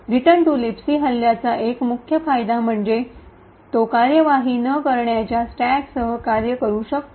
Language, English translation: Marathi, One major advantage of the return to LibC attack is that it can work with a non executable stack